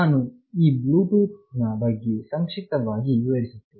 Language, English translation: Kannada, Let me very briefly talk about Bluetooth